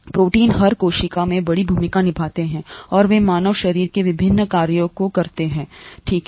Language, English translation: Hindi, Proteins play huge roles in every cell and they make the various functions of the human body possible, okay